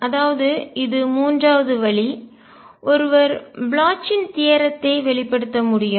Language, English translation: Tamil, So, this is the third way, one can express Bloch’s theorem